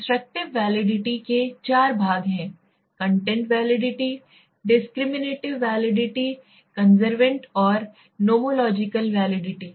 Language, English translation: Hindi, Constructive validity has got 4 parts right, content validity, discriminative validity, convergent and nomological validity right